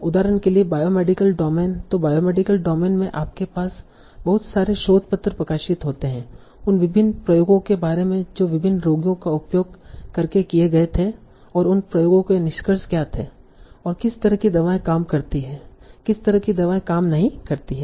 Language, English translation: Hindi, So, in biomedical domain, you have a lot of research papers that are published that give details about what were the various experiments that were done using and using various patients and what were the findings of those experiments and what kind of drugs work, what kind of drugs did not work